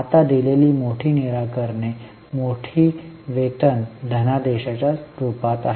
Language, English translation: Marathi, Now the major solutions given are in the form of big paycheck